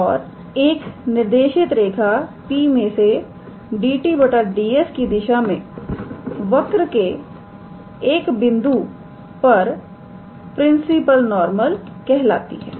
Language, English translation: Hindi, And a directed line through P in the direction of dt ds, is called the principal normal to the curve at the point P